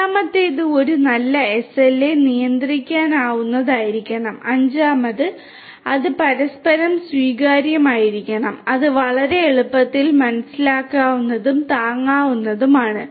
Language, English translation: Malayalam, Fourth is that a good SLA should be controllable, fourth fifth is that it should be mutually acceptable which is also quite will you know easily understood and should be affordable